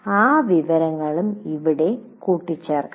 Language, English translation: Malayalam, So that information should be appended here